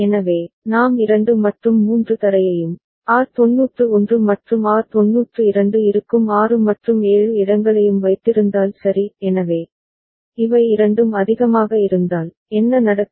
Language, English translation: Tamil, So, if we keep 2 and 3 ground and these 6 and 7 where R91 and R92 are there ok; so, if both of them are high, then what happens